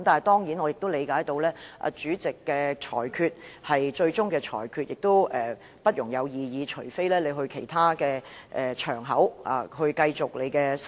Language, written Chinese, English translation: Cantonese, 然而，我明白主席的裁決是最終裁決，不容異議，須另覓其他場合討論。, Yet I understand that the Presidents ruling is final and may not be challenged; any discussion on it may only be held on another occasion